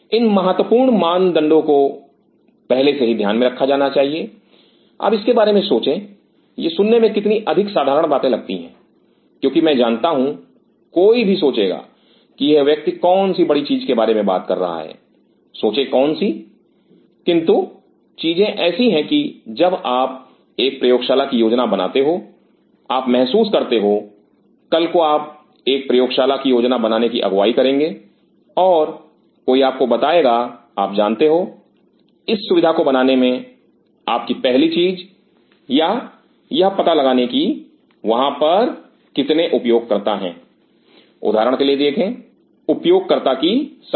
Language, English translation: Hindi, These are important criteria to be taken into account will in advance now think of it how much of the trivia these sounds how much, because I know somebody will think what a big deal this guys talking thinks which, but the thing is that when you are planning a lab you realize tomorrow you will be a leader planning a lab and somebody will tell you know set up this facility your first thing or figure out that how many users are there see for example, number of user